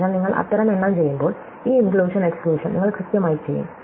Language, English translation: Malayalam, So, when you do that kind of counting you will exactly do this inclusion exclusion, right